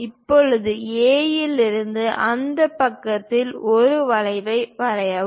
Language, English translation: Tamil, Now draw an arc on that side from A